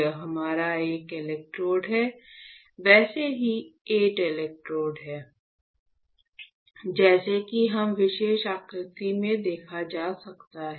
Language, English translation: Hindi, This is our one electrode, the same way there are 8 electrodes; as you can see in this particular figure right